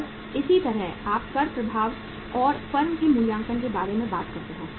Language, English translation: Hindi, And similarly, you talk about the tax effect and the valuation of the firm